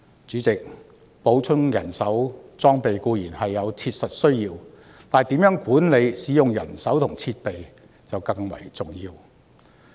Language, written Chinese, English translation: Cantonese, 主席，補充人手和裝備固然有切實需要，但如何管理使用人手和設備更為重要。, Chairman while there is a genuine need to enhance manpower and equipment it is more important for the Police to manage its manpower and equipment